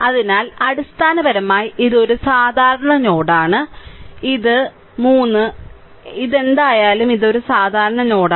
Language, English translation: Malayalam, So, basically this this is a common node this is a common node right this is 3 this is whatever it is this is a common node